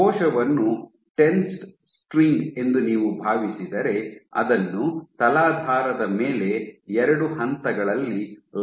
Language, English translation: Kannada, So, if you think the cell as a tensed string, which is anchored at two points on a substrate